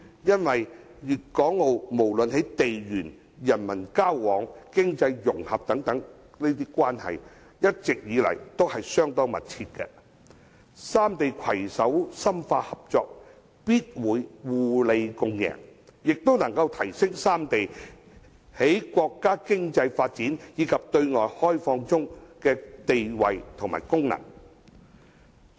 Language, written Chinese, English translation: Cantonese, 粵港澳不論在地緣、人民交往和經濟融合等關係一直相當密切，三地攜手深化合作，必會互利共贏，亦可提升三地在國家經濟發展及對外開放中的地位和功能。, The relationship among Guangdong Hong Kong and Macao has always been close in terms of geographical location exchanges among the people as well as economic integration . Further cooperation of the three places will surely bring mutual benefits and enables them to contribute more to the countrys economic development and opening up